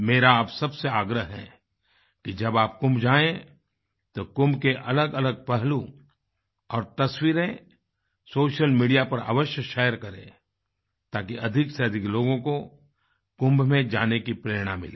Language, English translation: Hindi, I urge all of you to share different aspects of Kumbh and photos on social media when you go to Kumbh so that more and more people feel inspired to go to Kumbh